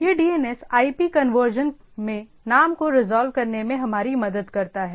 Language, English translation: Hindi, So, this DNS helps us in resolving name to IP conversion